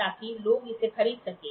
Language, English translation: Hindi, So, that people can buy it